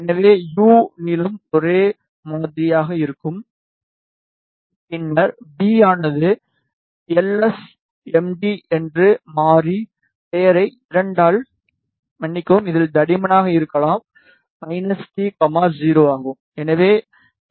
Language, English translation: Tamil, So, in U length will be same and then V may be just take the variable name lsmd by 2 sorry in this and for thickness may be minus t comma 0 yes